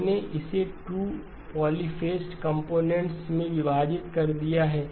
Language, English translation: Hindi, I have split into 2 polyphase components